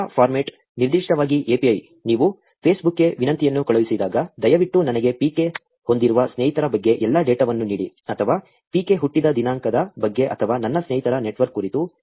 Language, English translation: Kannada, Data format, so particularly the API, when you send the request to Facebook saying that, ‘please give me all the data about friends that PK has’, or, about the date of birth of PK, or about my friends’ network